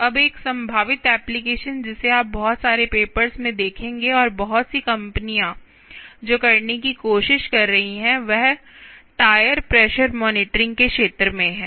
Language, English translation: Hindi, ah, one potential application which you will see lot of papers and lot of companies trying to do is in the area of tire pressure monitoring: tire t